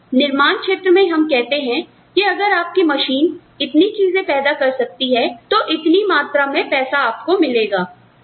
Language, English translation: Hindi, So, in the manufacturing sector, you will say, okay, if your machine produces, these many things, this is the amount of money, you will get